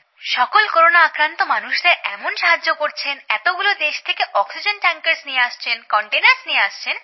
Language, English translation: Bengali, Feel very proud that he is doing all this important work, helping so many people suffering from corona and bringing oxygen tankers and containers from so many countries